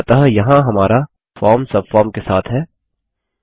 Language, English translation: Hindi, So there is our form with a subform